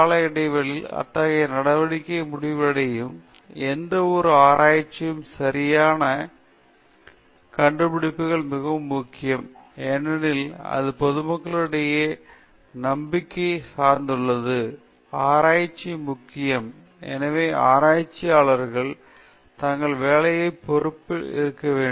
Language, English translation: Tamil, The valid findings of a research which sort of concludes such activity at certain stages is very important, and this is because research depends a lot on public trust; it is crucial for research; and hence, researchers must be responsible for their work